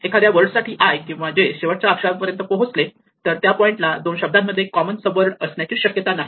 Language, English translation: Marathi, So, if either i or j has reached the end of the word then there is no possibility of a common subword at that point